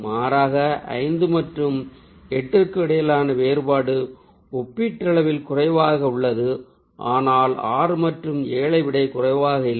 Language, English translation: Tamil, the contrast between five and eight is also comparatively low, but not as low as the six and seven